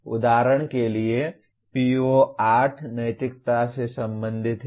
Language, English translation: Hindi, For example PO8 is related to ethics